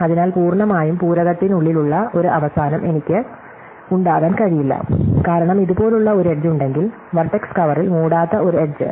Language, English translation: Malayalam, So, I cannot have an end which is entirely within the complement, because if have an edge which is like this, then this is an edge which is not covered by vertex cover